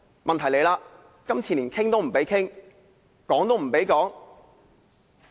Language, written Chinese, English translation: Cantonese, 問題是，今次連討論也不准。, The current problem is that we are not even allowed to hold discussion